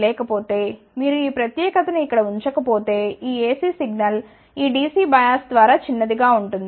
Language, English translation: Telugu, Otherwise, if you do not put this particular here this AC signal may get shorted through this DC bias